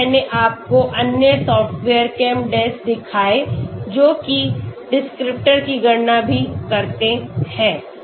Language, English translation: Hindi, Then, I showed you the other software ChemDes that also calculate descriptors okay